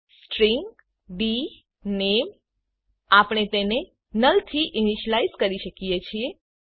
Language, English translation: Gujarati, String dName we can linitialize it to null